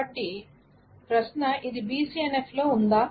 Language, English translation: Telugu, Now, of course, this is not in BCNF